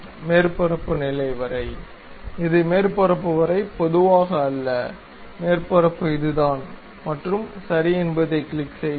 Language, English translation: Tamil, Up to the surface level; so it is not blind up to the surface and the surface is this one and click ok